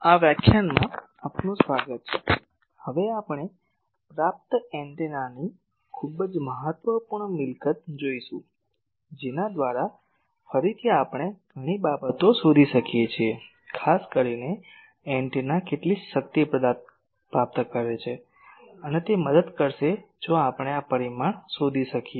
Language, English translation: Gujarati, Welcome to this lecture, now we will see a very important property of an antenna of a receiving antenna, by which again we can find out lot of things particularly how much power an antenna is receiving, that will be help if we can find this parameter